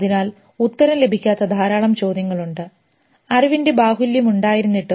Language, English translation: Malayalam, So there are a lot of questions which are unanswered in spite of the plethora of knowledge